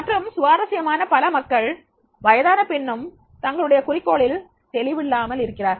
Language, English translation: Tamil, And interestingly many people, even in the later age also, they are not very clear what is their goal